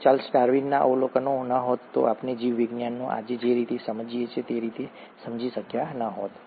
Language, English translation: Gujarati, Had it not been for Charles Darwin’s observations, we would not understand biology the way we understand it today